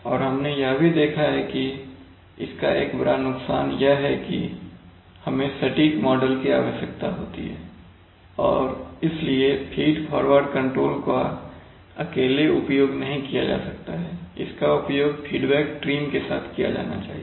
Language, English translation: Hindi, And, but we have also seen that this, it has a big disadvantage that we need to have the models accurately and therefore, feed forward control cannot be used in isolation, it must be used along with a feedback trim